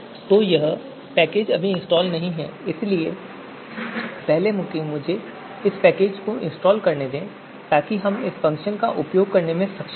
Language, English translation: Hindi, So that we need so that so this is this package is right now not installed so let me first install this you know package so that we are able to use the function